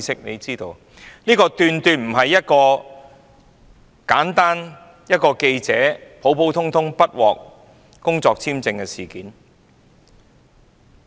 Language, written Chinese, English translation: Cantonese, 由此可見，這絕非單純是一名記者不獲批工作簽證的普通事件。, From this it can be seen that the incident is not purely an ordinary incident where a journalist was not issued a work visa